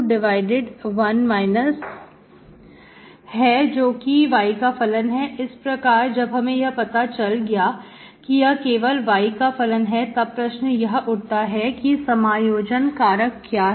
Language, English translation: Hindi, Once you know this function of y only, what is my integrating factor